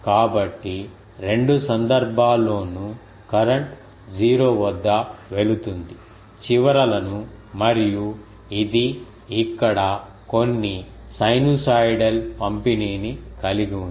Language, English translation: Telugu, So, that is why in both the cases the current goes through 0 at the ends and it has some other distribution here sinusoidally distributed